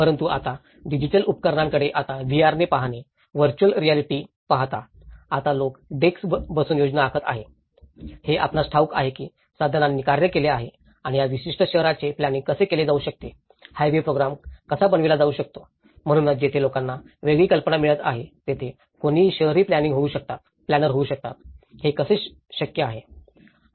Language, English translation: Marathi, But now, looking at the digital tools now, with the VR; the virtual reality so, one can see that now people are making the planning even by sitting at a desk, you know by the tools have been operational and how this particular city could be planned, the high way program could be planned, so that is where people are getting a different notion, anyone can become urban planners, how is it possible